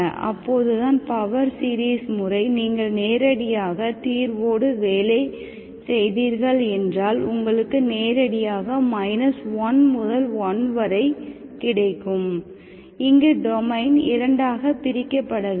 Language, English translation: Tamil, That is when the power series method, you worked with the solution directly, you directly have minus1 to1, there is no domain breaking here